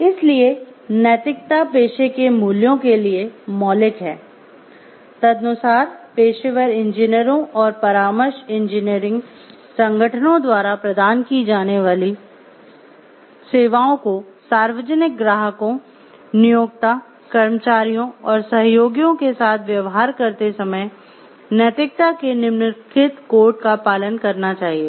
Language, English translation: Hindi, Therefore, ethics are fundamental to the values of the profession, accordingly the services provided by professional engineers and consulting engineering organizations referred to as engineers should adhere to the following code of ethics while dealing with the public, clients, employers, employees and associates